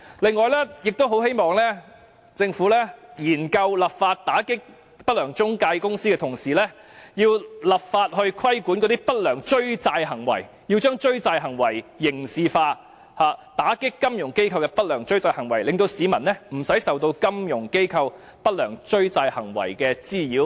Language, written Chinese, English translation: Cantonese, 另外，我很希望政府在研究立法打擊不良中介公司的同時，亦立法規管不良追債行為，將追債行為刑事化，打擊金融機構的不良追債行為，讓市民免受金融機構不良追債行為的滋擾。, Furthermore I very much hope that while studying the enactment of legislation to crack down on unscrupulous intermediaries the Government should also enact legislation to regulate malpractices in debt collection criminalizing debt collection and cracking down on malpractices in debt collection by financial institutions so as to protect members of the public from nuisances caused by the malpractices in debt collection by financial institutions